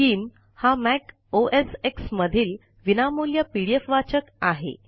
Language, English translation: Marathi, skim is a free pdf reader available for Mac OSX